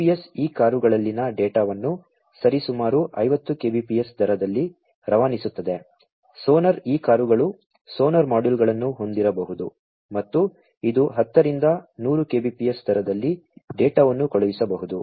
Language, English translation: Kannada, The GPS transmits data in these cars at the rate of roughly 50 kbps, sonar these cars could be equipped with sonar modules and which could be you know sending data at the rate of 10 to 100 kbps